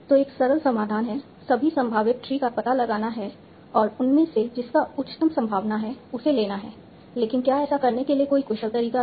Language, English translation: Hindi, So, one simple solution is find out all the possible trees and take the one with the highest probability